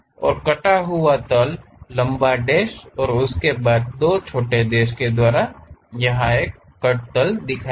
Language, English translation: Hindi, And, the cut plane long dash followed by two small dashes and so on; that is a cut plane representation